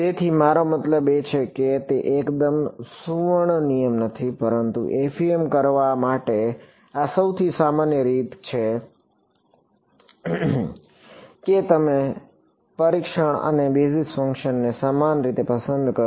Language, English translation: Gujarati, So, that is the most I mean it is not absolutely the golden rule, but this is the by further most common way for doing FEM is you choose the testing and basis functions to be the same ok